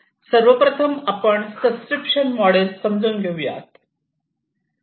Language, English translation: Marathi, The first one that we should understand is the subscription model